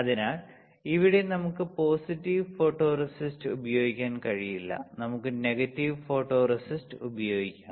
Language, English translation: Malayalam, So, here we cannot use positive photoresist, we can use, we have to use negative photoresist